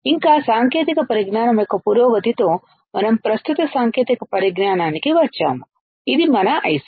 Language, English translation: Telugu, And slowly with the advancement of technology, we came to the present technology which is our IC